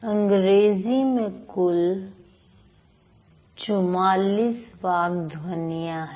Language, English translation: Hindi, So, we have 44 speech sounds in English